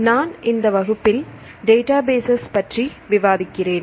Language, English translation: Tamil, In this class we discuss about Databases